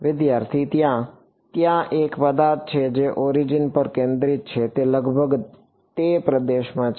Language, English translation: Gujarati, May there is an object which is centered on the origin it is approximately in that region